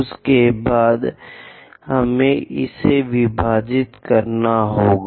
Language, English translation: Hindi, After that we have to divide this one